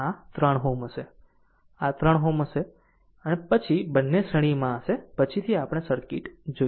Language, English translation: Gujarati, And this 3 ohm and this 3 ohm then both will be in series later we will see the circuit right